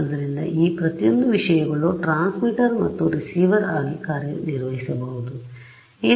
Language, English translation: Kannada, So, each of these things can act as both as a transmitter and receiver